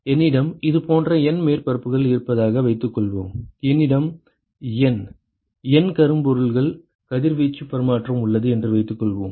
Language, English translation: Tamil, Supposing I have N surfaces like this, suppose I have N N blackbody exchanging radiation